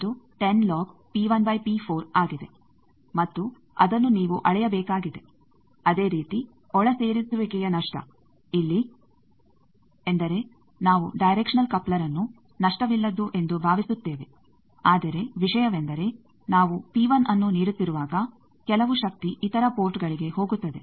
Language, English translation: Kannada, Similarly, insertion loss that we are saying that the there is no power going here, but insertion loss means the directional coupler we are assuming to be lossless, but the thing is when we are giving P 1 some power is going to other ports